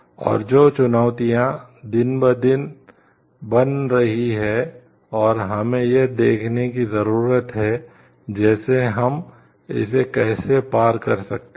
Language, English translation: Hindi, And which are becoming day to day challenges and we need to see like how we can overcome it